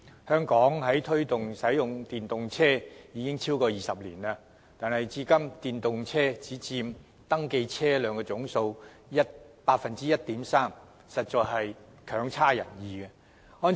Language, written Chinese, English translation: Cantonese, 香港推動使用電動車已超過20年，但至今電動車僅佔已登記車輛總數的 1.3%， 成績實在強差人意。, Hong Kong has been promoting the use of electric vehicles EVs for over 20 years but the number of EVs at present only accounts for 1.3 % of the total number of registered vehicles and our performance in this respect is barely passable